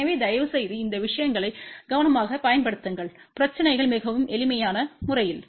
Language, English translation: Tamil, So, please apply these things carefully you can solve the problems in a very simple manner